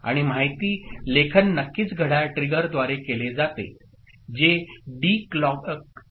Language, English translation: Marathi, And the data writing is done through clock trigger of course, synchronous with D clocks